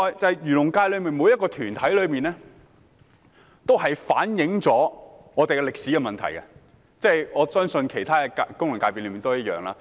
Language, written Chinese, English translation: Cantonese, 此外，漁農界的每個團體均反映了歷史的問題，我相信其他功能界別亦一樣。, Besides every organization in the agriculture and fisheries industries is a reflection of historical problems and I believe this is also the case for some other FCs